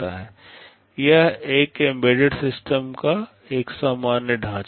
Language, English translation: Hindi, This is a general schematic of an embedded system